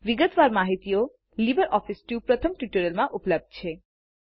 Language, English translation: Gujarati, Detailed instruction are available in the first tutorial of Libre office suit